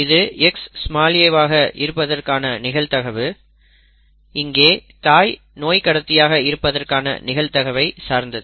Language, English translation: Tamil, The probability that this will be an X small a depends on the probability that the mother is a carrier, okay